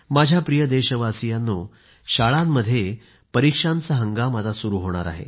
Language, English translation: Marathi, My dear countrymen, exam time in schools throughout the nation is soon going to dawn upon us